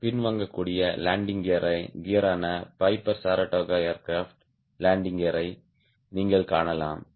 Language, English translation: Tamil, you can see the landing gear of piper saratoga aircraft, which is the retractable landing gear